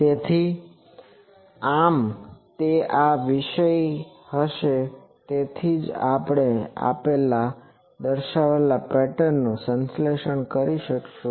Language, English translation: Gujarati, So, thus it will be this topic that is why that we can so that we can synthesize a given specified pattern that we will do